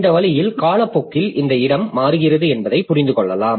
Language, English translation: Tamil, So, in this way you can understand that this locality changes over time